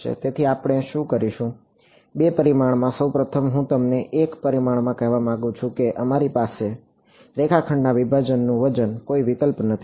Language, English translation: Gujarati, So, what we will do is, in two dimensions, first of all I want to tell you in one dimension we had no choice the weight of discretize is line segments